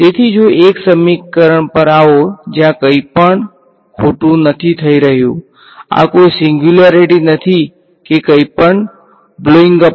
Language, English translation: Gujarati, So, if come to a come to an equation where nothing bad is happening, there is no singularity nothing is blowing up so